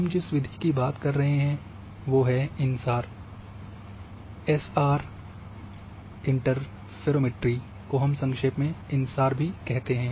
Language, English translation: Hindi, So here the method which we can write here is InSAR, SAR interferometry in short we say InSAR